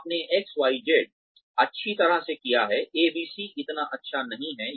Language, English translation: Hindi, You have done XYZ well, ABC not so well